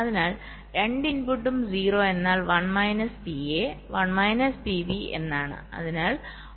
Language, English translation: Malayalam, so what is both the input are zero means one minus p a, one minus p b